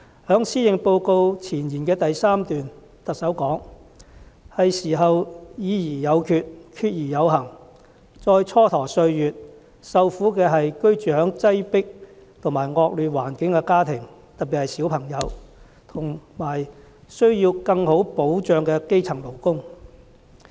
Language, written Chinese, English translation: Cantonese, 在施政報告前言的第3段，特首說："是時候要'議而有決、決而有行'，再蹉跎歲月，受苦的是居住在擠迫和惡劣環境的家庭，特別是小朋友，和需要更好退休保障的基層勞工"。, In paragraph 3 of the Forward in the Policy Address the Chief Executive says It is high time for us to decide and proceed after discussions; since procrastination will just bring greater sufferings to families living in a poor and overcrowded environment in particular the children and to grass - roots workers who need better retirement protection